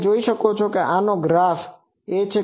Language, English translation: Gujarati, You can see this is the graph